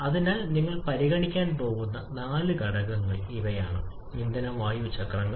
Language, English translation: Malayalam, So, these are the four factors that you are going to consider in case of fuel air cycles